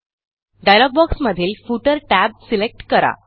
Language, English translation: Marathi, Select the Footer tab in the dialog box